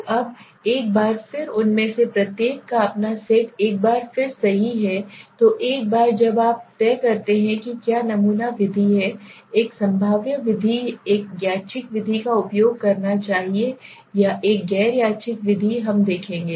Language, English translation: Hindi, So now again each of them have their own set of once right so once you decide what sampling method should I use in my study weather should I use a probabilistic method a random method or a non random method we will see